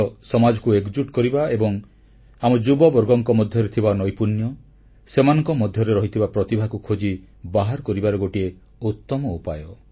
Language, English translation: Odia, Sports is an excellent route to unite society and to showcase the talents & skills of our youth